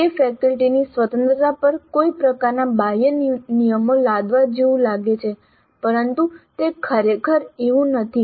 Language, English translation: Gujarati, Again, it looks like some kind of imposition of external rules on the freedom of the faculty but it is not really that